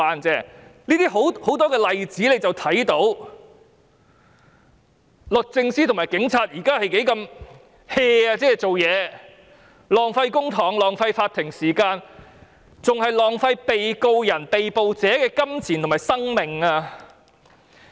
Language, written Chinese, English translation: Cantonese, 從很多例子看到，律政司和警察現時做事不認真，浪費公帑和法庭時間，更浪費被告人、被捕者的金錢和生命。, As we can see from many cases the Department of Justice and the Police fail to do things seriously wasting not only public money and court time but also money and life of the defendants or arrestees